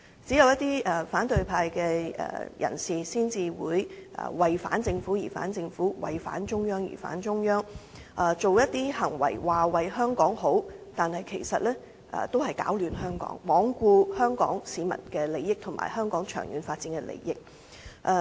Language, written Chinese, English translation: Cantonese, 只有一些反對派的人士才會"為反政府而反政府"、"為反中央而反中央"，口說為香港好，但其實是在攪亂香港，罔顧香港市民的利益及香港的長遠發展。, Only some people of the opposition camp would oppose the Government and the Central Authorities for the sake of opposition . They claim to act for the benefit of Hong Kong but in fact they are creating chaos in Hong Kong ignoring the interests of Hong Kong people and the long - term development of Hong Kong